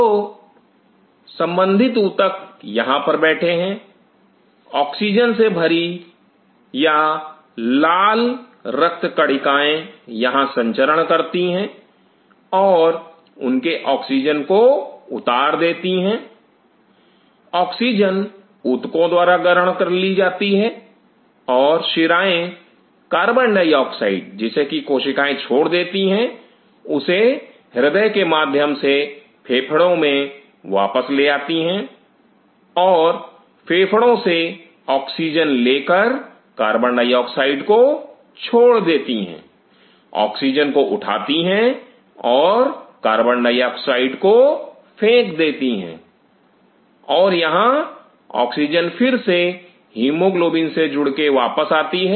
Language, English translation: Hindi, So, now concern tissues are sitting out here, the oxygenated blood or the red blood cells travel here and unload their oxygen, is oxygen is taken up by the tissues and the veins out here takes up the CO2 which is given away by these cells this is brought back via heart goes to the lungs and from the lungs any picks up the oxygen throw away the carbon dioxide picks up the O2, throw away the CO2 and it oxygen further comes back after attaching the hemoglobin